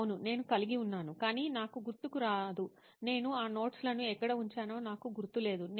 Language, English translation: Telugu, I’ll be like yes, I have but I am not able to recollect, I am not able to remember where I kept those notes